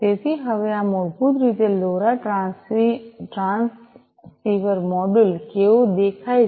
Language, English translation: Gujarati, So, now this is basically how the LoRa transceiver module looks like